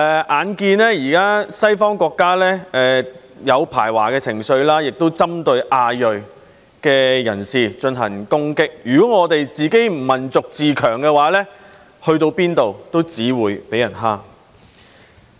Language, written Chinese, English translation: Cantonese, 眼見現時西方國家出現排華情緒，也有針對亞裔人士進行攻擊，如果我們的民族不自強，去到哪裏也只會被人欺負。, In view of the anti - Chinese sentiments and attacks against Asian people in Western countries at present we will only be bullied wherever we go if our nation does not strive to become strong and powerful